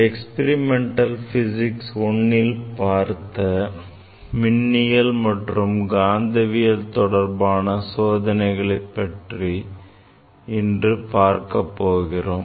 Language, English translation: Tamil, What are the experiments we have demonstrated in Experimental Physics I on electricity and magnetism